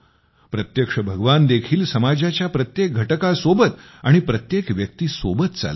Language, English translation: Marathi, God also walks along with every section and person of the society